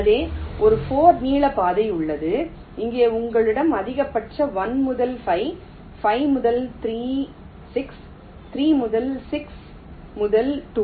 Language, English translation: Tamil, and here here you have, maximum is, i think, one to five, five to three, six, three, six to two, three